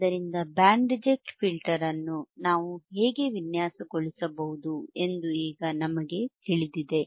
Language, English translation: Kannada, So, now we know how we can design a band reject filter right easy